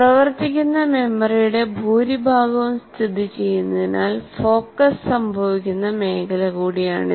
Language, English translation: Malayalam, It is also the area where focus occurs because most of the working memory is located here